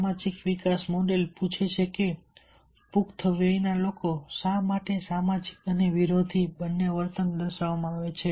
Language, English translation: Gujarati, the social developmental model asks why both social and anti social behavior